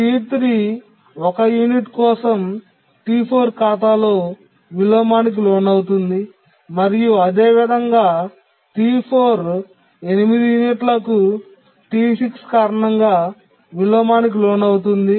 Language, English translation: Telugu, So, T3 can undergo inversion on account of T4 for one unit, and similarly T4 can undergo inversion on account of T6 for 8 units